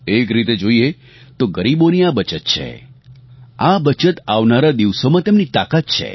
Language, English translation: Gujarati, In a way, this is a saving for the poor, this is his empowerment for the future